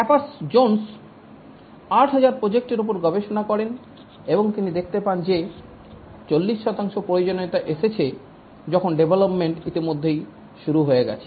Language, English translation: Bengali, Capers zones researched on 800, 8,000 projects and he found that 40% of the requirements were arrived when the development had already begun